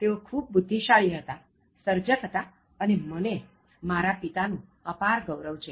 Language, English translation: Gujarati, He was a genius, a creator, and I am proud of my father